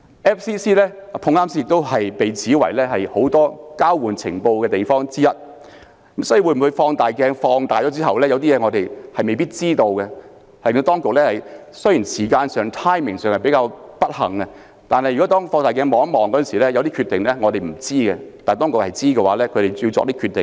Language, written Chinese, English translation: Cantonese, FCC 剛巧被指是交換情報的組織之一，所以會否經放大鏡放大後，有些事情我們未必知道，雖然這件事發生的時間比較不巧，但如果以放大鏡看一看，有些事可能是我們不知道，但當局是知道的而要作出有關決定。, It happens that FCC is being accused of engaging in information exchange . Hence when the case was examined under a magnifying glass would there be things that were unknown to us? . Although this incident happened at a rather inconvenient time if the case was examined under a magnifying glass there might be things that were unknown to us but known to the Government and it had to make the decision accordingly